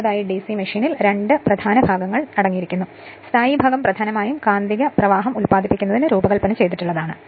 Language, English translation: Malayalam, Next is so DC machine consists of two main parts, stationary part it is designed mainly for producing magnetic flux right